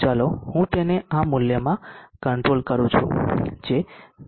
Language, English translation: Gujarati, Let me adjust it to this value what is supposed to be 0